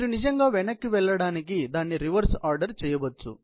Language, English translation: Telugu, You can actually go back and do the reverse order of it